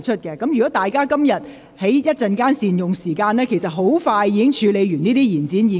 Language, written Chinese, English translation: Cantonese, 若議員今天稍後善用時間，其實很快便可完成處理這些議案。, If Members make good use of the time later today we can actually finish processing these motions expeditiously